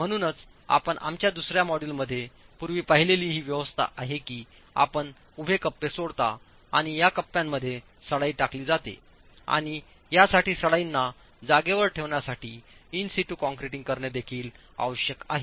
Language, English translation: Marathi, So the arrangement you've seen earlier in our second module that you leave vertical pockets and reinforcement runs through these pockets and this also requires in situ concreting to hold the reinforcement in place